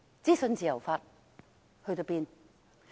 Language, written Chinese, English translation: Cantonese, 資訊自由法到哪裏去了？, Where is the freedom of information law?